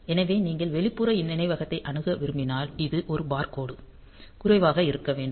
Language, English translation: Tamil, So, if you want to access external memory then this a bar line should be made low